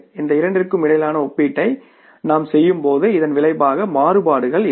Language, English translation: Tamil, When you make the comparison between these two, so the result is going to be variances, right